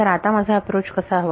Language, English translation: Marathi, So, what should my approach be